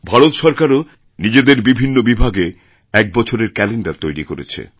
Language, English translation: Bengali, Government of India has also chalked out an annual calendar for its departments